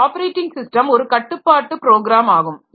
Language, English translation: Tamil, Then this operating system is a control program